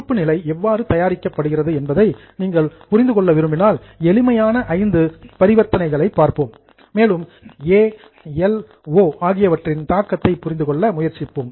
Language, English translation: Tamil, Now, if you want to understand how the balance sheet is prepared, we will take five simple transactions and for that transactions, try to understand the impact on A, L and O